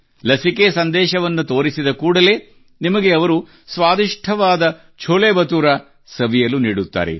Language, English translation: Kannada, As soon as you show the vaccination message he will give you delicious CholeBhature